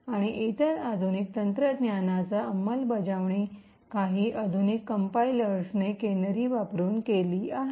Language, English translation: Marathi, And other countermeasure that is implemented by some of the modern day compilers is by the use of canaries